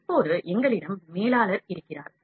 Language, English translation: Tamil, Now, we have manager here